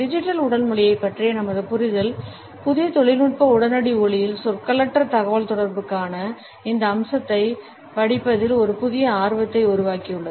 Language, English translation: Tamil, Our understanding of Digital Body Language has generated a renewed interest in studying this aspect of nonverbal communication in the light of new technological immediacy